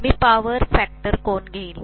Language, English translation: Marathi, Let me take the power factor angle